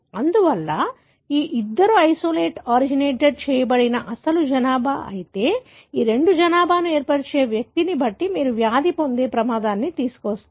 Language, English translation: Telugu, Therefore although the original population from where these two isolateoriginated, but you will find depending on the individual that form these two population, kind of bring the risk of having a disease